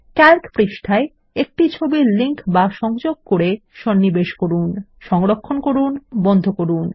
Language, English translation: Bengali, Insert an image as a link in a Calc sheet, save and close it